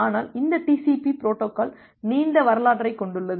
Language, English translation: Tamil, But this TCP protocol has a long history